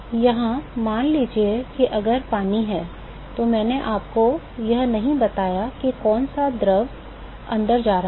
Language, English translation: Hindi, Here suppose if it is water, I did not tell you which fluid is going inside